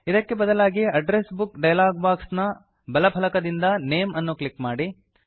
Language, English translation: Kannada, Alternately, in the Address Book dialog box, from the right panel, simply click on Name